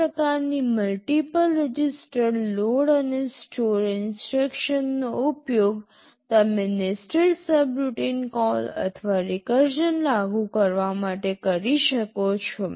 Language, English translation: Gujarati, This kind of a multiple register load and store instruction you can use to implement nested subroutine call or even recursion